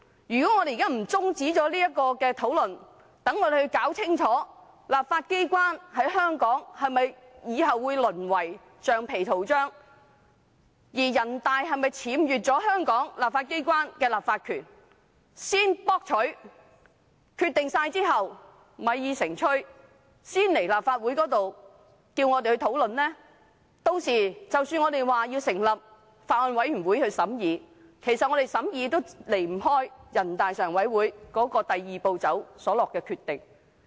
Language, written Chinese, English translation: Cantonese, 如果現在不中止討論，讓我們先弄清楚香港立法機關是否從此會淪為橡皮圖章；而人大是否僭越了香港立法機關的立法權，作了決定，米已成炊，才交回立法會討論呢；屆時即使我們提出成立法案委員會審議，"一地兩檢"安排也離不開人大常委會"第二步"所作的決定。, The discussion should be adjourned now so that we can ascertain whether the legislature of Hong Kong will be reduced to a rubber stamp from now on and whether NPCSC will have usurped the lawmaking power of the legislature of Hong Kong and made an irrevocable decision that cannot be undone before the debate will resume at the Legislative Council . At that time even we propose to set up a Bills Committee for scrutiny the co - location arrangement cannot deviate from the decision made in step two by NPCSC